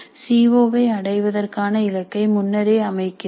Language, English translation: Tamil, We set the target for the COA attainment upfront